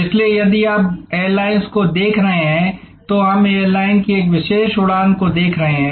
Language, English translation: Hindi, So, if you are looking at airlines we are looking at a particular flight of an airline